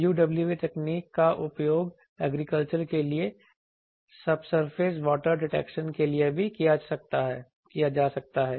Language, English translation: Hindi, UWE technology also is used for subsurface water detection for agriculture